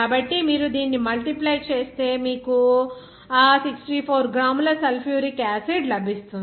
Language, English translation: Telugu, So, just you multiply this, you will get that 64 gram of sulfuric acid